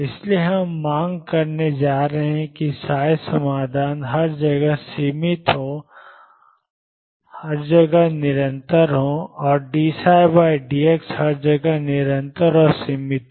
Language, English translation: Hindi, So, we are going to demand that the solutions be finite everywhere psi be continuous everywhere and d psi by d x be continuous and finite everywhere